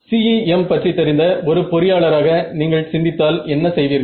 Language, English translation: Tamil, So, if you are thinking like an engineer who knows CEM how, what would you do